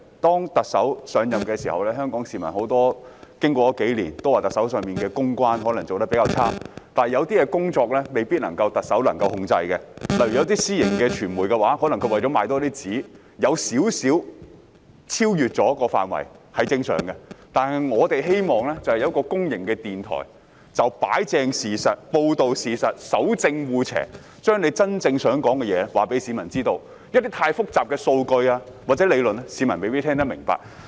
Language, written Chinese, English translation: Cantonese, 特首上任後，經過了數年，香港市民都說特首的公關工作可能做得比較差，但有些事情未必是特首可以控制的，例如有些私營傳媒為了增加銷量，在內容上會稍稍超越了範圍，這也是正常的，但我們希望會有一間公營電台可以擺正事實、報道事實、守正惡邪，把政府真正想說的話告訴市民，因為太複雜的數據和理論，市民未必能聽得明白。, For example some private media organizations will slightly cross the line in order to boost sales . This is quite normal . However we hope that there will be a public broadcaster to set the record straight report the truth uphold what is right against dishonesty and convey to the public the message which the Government really wishes to deliver because the public may not be able to comprehend figures and theories which are too complicated